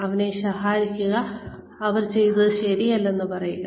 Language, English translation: Malayalam, Scold them, tell them, what they did not do right